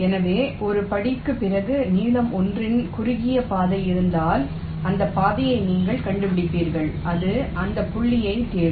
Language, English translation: Tamil, so if a shortest path of length l exist after l steps, you are guaranteed to find that path and it will touch that point